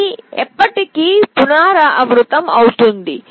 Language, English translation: Telugu, This can also repeat forever